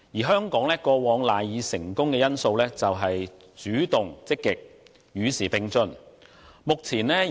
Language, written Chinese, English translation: Cantonese, 香港過往賴以成功的因素，就是主動、積極及與時並進。, Hong Kong was successful in the past because of its willingness to take the initiative be proactive and keep up with the times